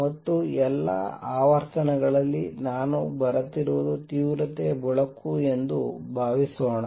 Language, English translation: Kannada, And suppose light of intensity I is coming in of all frequencies light of intensities is coming in